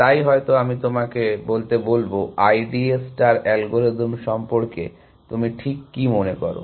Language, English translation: Bengali, So, maybe I will ask you to tell me, what do you think of the I D A star algorithm